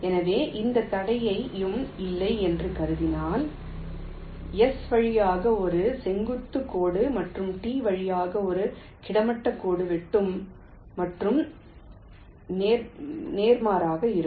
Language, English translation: Tamil, so, assuming no obstacles, a vertical line through s and a horizontal line through t will intersect, and vice versa